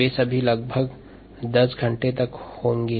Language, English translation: Hindi, they will all add up to around ten hours